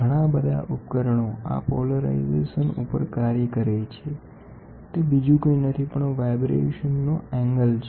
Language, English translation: Gujarati, There are lot of instruments which work on this polarization which is nothing but the angle of vibration